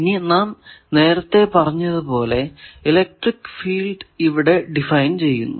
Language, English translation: Malayalam, Now let us define as we said that the electric field and voltage should be proportional